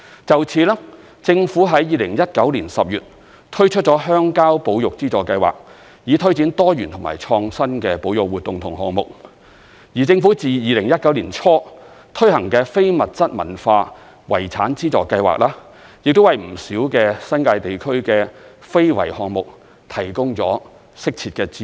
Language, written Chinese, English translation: Cantonese, 就此，政府在2019年10月推出了鄉郊保育資助計劃，以推展多元和創新的保育活動和項目；而政府自2019年年初推行的非物質文化遺產資助計劃，亦為不少新界地區的非物質文化遺產項目提供了適切的資助。, In this regard the Government launched the Countryside Conservation Funding Scheme in October 2019 to promote a diversified range of innovative conservation activities and projects and the Intangible Cultural Heritage Funding Scheme implemented by the Government since the beginning of 2019 has also provided appropriate funding support for many intangible cultural heritage projects in the New Territories region